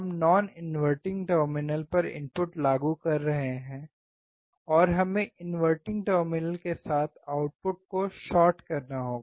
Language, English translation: Hindi, we are applying input at the non inverting terminal, and we have to just short the output with the inverting terminal